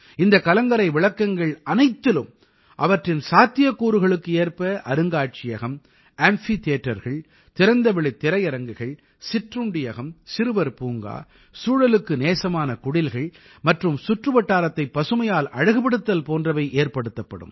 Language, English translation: Tamil, In all these light houses, depending on their capacities, museums, amphitheatres, open air theatres, cafeterias, children's parks, eco friendly cottages and landscaping will bebuilt